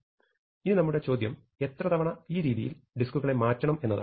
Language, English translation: Malayalam, So, the question we want to ask is, how many times do we move disks in this procedure